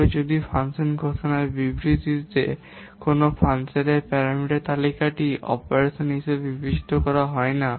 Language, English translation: Bengali, However, if the parameter list of a function in the function declaration statement is not considered an operands